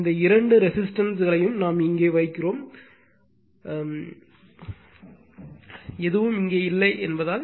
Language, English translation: Tamil, These two resistance we put it here, right as we as we nothing is here